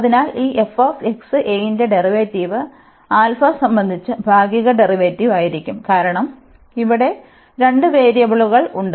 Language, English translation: Malayalam, So, the derivative of this f x alpha will be the partial derivative with respect to alpha, because there are two variables here